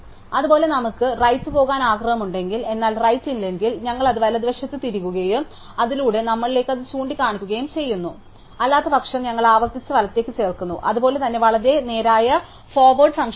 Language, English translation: Malayalam, Likewise, if we do want to go right and there is no right, we insert it to the right and we make it point to ourselves through it is parent; otherwise, we recursively insert to the right, so is the insert to the very straight forward function